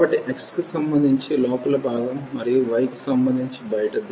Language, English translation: Telugu, So, inner one with respect to x and the outer one with respect to y